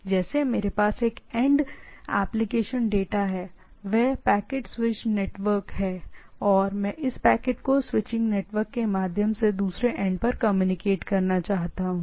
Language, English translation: Hindi, So, like this like the I have a application data from the one end, that is the packet switched network and I want to communicate to the other end through this packet switching network